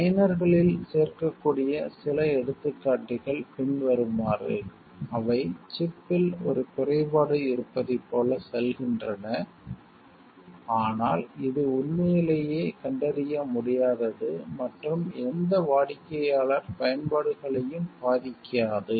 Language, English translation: Tamil, A few examples that can act to the liners are follows, they go like there will be a flaw in the chip, but it truly is undetectable and will not affect any customers applications